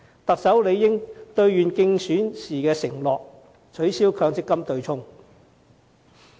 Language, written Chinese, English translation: Cantonese, 特首理應兌現競選時的承諾，取消強積金對沖機制。, The Chief Executive ought to honour his election pledge and abolish the MPF offsetting mechanism